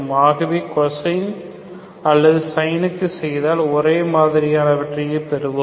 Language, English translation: Tamil, So you do cosine or sin, you get the similar thing